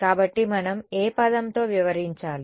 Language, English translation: Telugu, So, what term is it that we have to deal with